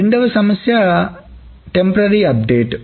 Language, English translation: Telugu, The second problem is the temporary update